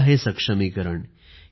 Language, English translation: Marathi, This is empowerment